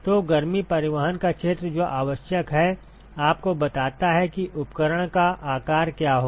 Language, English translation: Hindi, So, the area of heat transport which is required tells you what is going to be the size of the equipment